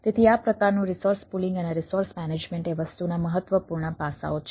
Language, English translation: Gujarati, so this sort of resource pooling and management of the resources ah is important aspects of the thing